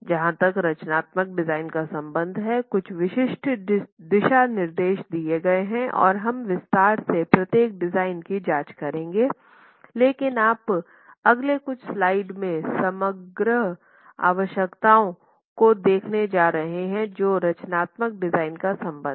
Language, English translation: Hindi, Some specific guidelines as far as the structural design is concerned, we will be going and examining each design in detail but what you are going to see in the next few slides is overall requirements as far as the structural design is concerned